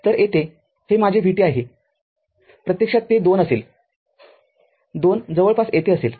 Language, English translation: Marathi, So, here this is my vt actually it will be 2 2 will be somewhere here right